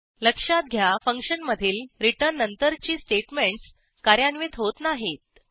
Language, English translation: Marathi, Note that the statements after return will not be executed in a function